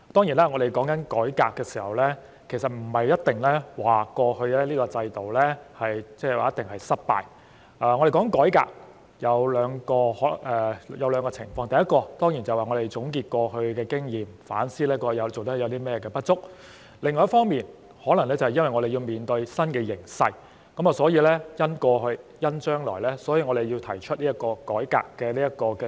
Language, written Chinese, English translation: Cantonese, 談及改革，其實不是指過去這個制度一定是失敗，談改革可以有兩個情況，第一，當然是要總結過去經驗，反思過去有甚麼做得不足的地方；另一方面，可能是面對新形勢，故此要因應過去和將來，提出改革問責制。, Talking about reforming the accountability system it does not necessarily mean that the system has been a failure . The need for reform can arise from two aspects . First the need to summarize past experiences and reflect on past inadequacies; and second in the face of a new situation it may be necessary to reform the accountability system having regard the past and future